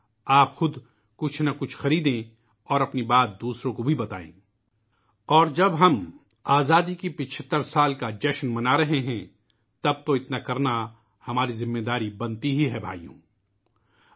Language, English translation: Urdu, Do purchase something or the other and share your thought with others as well…now that we are celebrating 75 years of Independence, it of course becomes our responsibility